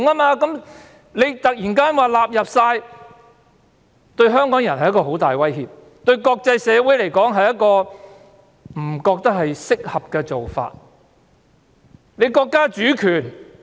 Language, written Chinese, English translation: Cantonese, 如今突然說完全納入，對香港人是很大的威脅，對國際社會而言亦不是適合的做法。, That is a big threat to Hong Kong people and that is inappropriate in the eyes of the international world